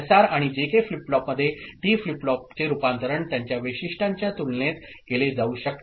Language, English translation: Marathi, Conversion of SR and JK flip flop to D flip flop can be done by comparison of their characteristics